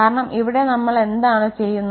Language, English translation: Malayalam, Because here what we are doing